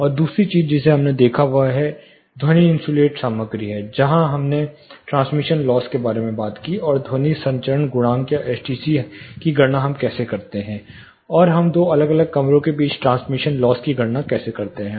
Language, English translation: Hindi, And the second thing we looked at is sound insulating material, where we talked about transmission loss, and sound transmission coefficient or STC, how do we calculate, and how do we calculate the transmission loss between two different rooms